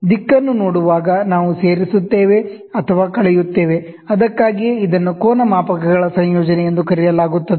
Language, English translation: Kannada, Looking into the direction, we either add or subtract, so that is why it is called as the combination of angle gauges